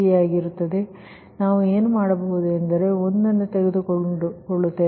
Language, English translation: Kannada, so what we will do, right, what we will do, we will take one